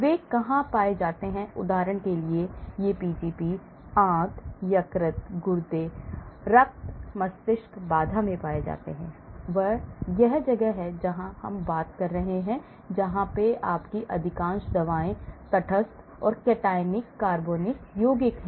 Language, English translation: Hindi, For example, these Pgps are found in intestine, liver, kidney, blood brain barrier this is where we are talking about; most of your drugs neutral and cationic organic compounds